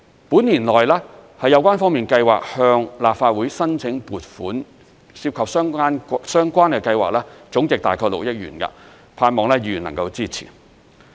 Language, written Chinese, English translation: Cantonese, 本年內，有關方面計劃向立法會申請撥款，涉及的相關計劃總值約6億元，我盼望議員能夠支持。, And the related authorities plan to submit within this year funding proposals in the total sum of about 600 million to the Legislative Council to conduct the related programmes . I hope Members can support the proposals